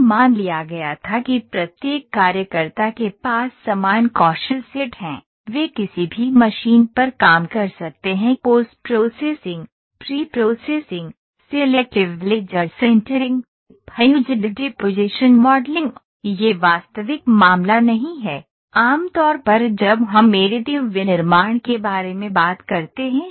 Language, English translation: Hindi, It was assumed that each worker has equivalent skill set, they can work on any machine post processing, pre processing, selective laser, sintering, fused deposition modeling this is not the actual case generally when we talk about additive manufacturing